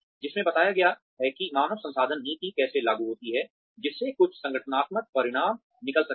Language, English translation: Hindi, Which described, how HR policy implementation, could lead to certain organizational outcomes